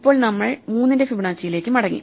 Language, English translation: Malayalam, Now, we are back to Fibonacci of 3